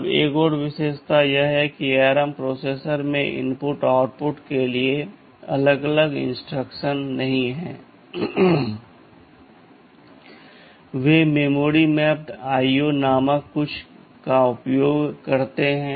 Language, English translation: Hindi, Now another feature is that I would like to say is that ARM processors does not have any separate instructions for input/ output, they use something called memory mapped IO